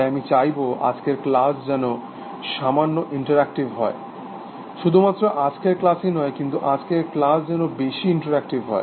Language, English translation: Bengali, So, I want today’s class to be little bit interactive, well not just today’s class, but today’s class will be more interactive